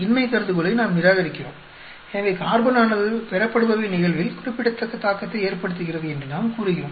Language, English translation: Tamil, We reject the null hypothesis, so we say carbon has a significant effect on the yield